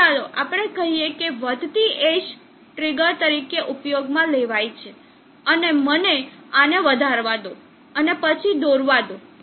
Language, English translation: Gujarati, So let us say the rising edge will be used as a trigger, now let me extent this and then plot this also